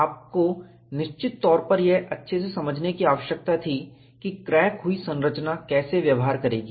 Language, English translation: Hindi, You had certain pressing need to understand, how crack tip structure would behave